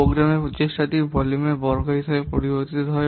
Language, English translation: Bengali, The programming effort varies at the square of the volume